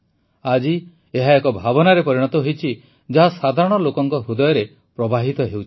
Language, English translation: Odia, Today it has become a sentiment, flowing in the hearts of common folk